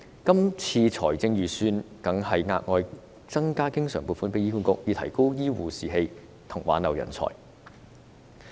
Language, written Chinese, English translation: Cantonese, 今年的預算案更額外增加醫管局的經常撥款，以提高醫護士氣及挽留人才。, In this years Budget additional recurrent funding is provided to HA to boost the morale of health care personnel and retain talents